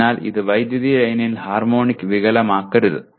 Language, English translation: Malayalam, So it should not produce harmonic distortion on the power line